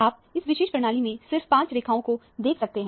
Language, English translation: Hindi, You see only 5 lines in this particular system